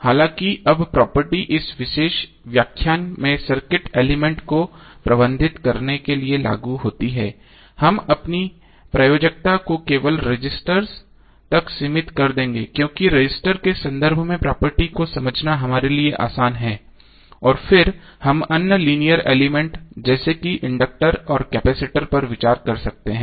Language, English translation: Hindi, Now although the property applies to manage circuit elements but in this particular lecture we will limit our applicable to registers only, because it is easier for us to understand the property in terms of resistors and then we can escalate for other linear elements like conductors and capacitors